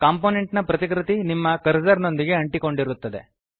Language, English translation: Kannada, A copy of the component will be tied to your cursor